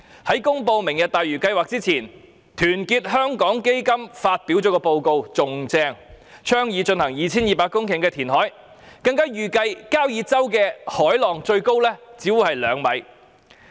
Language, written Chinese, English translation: Cantonese, 在"明日大嶼"計劃公布前，團結香港基金發表的報告更厲害，它倡議進行 2,200 公頃填海，更預計交椅洲的海浪最高只是兩米。, Prior to the announcement of the Lantau Tomorrow project Our Hong Kong Foundation released an even more outrageous report which advocated a 2 200 - hectare reclamation project and estimated that the waves in Kau Yi Chau would at most be 2 m high